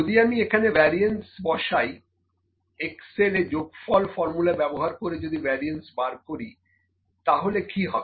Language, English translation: Bengali, So, what if I will put variance here, what if I just calculate the variance using sum formula in Excel